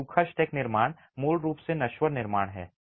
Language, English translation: Hindi, So, dry stack construction is basically mortar less construction